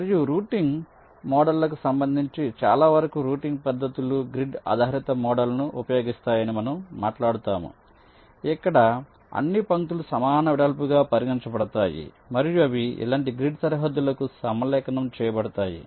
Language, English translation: Telugu, ok, and regarding routing models, well, most of ah, the routing techniques we shall talk about, they use a grid based model where all the lines are considered to be of equal with and they are aligned to grid boundaries, like this